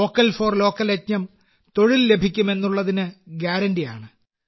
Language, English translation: Malayalam, The Vocal For Local campaign is a guarantee of employment